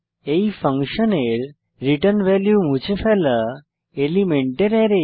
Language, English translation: Bengali, The return value of this function is an Array of removed elements